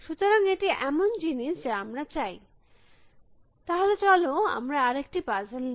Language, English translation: Bengali, So, that is one thing that we want, so let us take another small puzzle